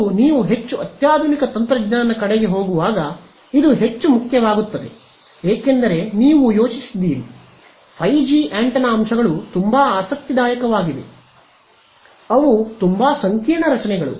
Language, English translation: Kannada, And more so, as you go towards more sophisticated technology this becomes more important because you have think of 5G antenna array board right, the antenna elements are all very interesting, very complicated structures